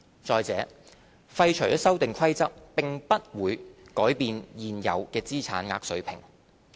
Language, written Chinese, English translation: Cantonese, 再者，廢除《修訂規則》並不會改變現有的資產額水平。, The Amendment Rules will not change any of the safeguards for investors